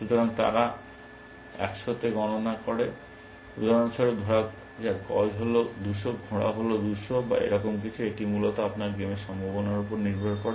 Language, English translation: Bengali, So, they compute in 100, for example, let say bishop is 200, and knight is 220 or something like that, it really depends on your prospective of the game essentially